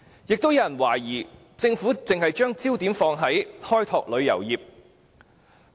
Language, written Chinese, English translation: Cantonese, 有些人亦懷疑政府只會把焦點放在開拓旅遊業。, Some people also query whether the Government will focus solely on the development of tourism